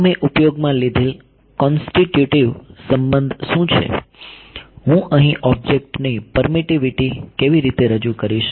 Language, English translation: Gujarati, So, what is a constitutive relation I used, how would I introduce the permittivity of the object in here